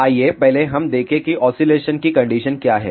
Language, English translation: Hindi, Let us first look at what are the oscillation conditions